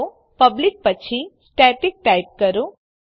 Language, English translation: Gujarati, So after public type static